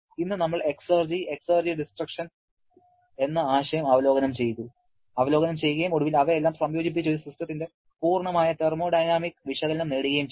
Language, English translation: Malayalam, Today, we reviewed the concept of exergy and exergy destruction and finally combined all of them to get a complete thermodynamic analysis of a system